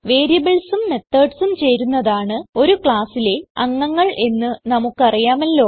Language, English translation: Malayalam, We know that variables and methods together form the members of a class